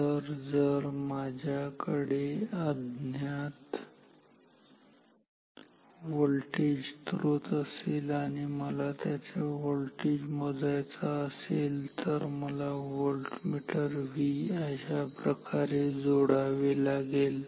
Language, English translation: Marathi, So, if I have a unknown voltage source and I want to measure the voltage of this, I have to connect the voltmeter V across this like this